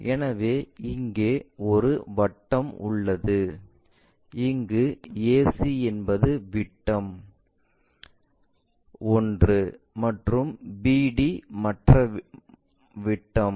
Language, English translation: Tamil, So, here a circle where ac is one of the diameter and bd is the other diameter